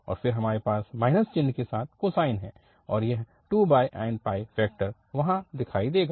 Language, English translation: Hindi, And then we have cosine with the minus sign and this 2 over n pi factor will be appearing there